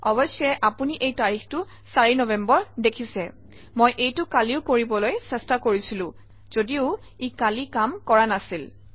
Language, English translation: Assamese, Of course you can see that this date is 4th November, I was trying to do this yesterday also and it didnt work yesterday